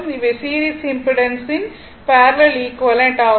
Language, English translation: Tamil, Now, next is that parallel equivalent of a series impedance right